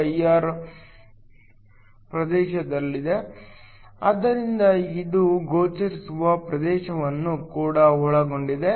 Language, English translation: Kannada, 2 in the UV region, so this encloses the visible region as well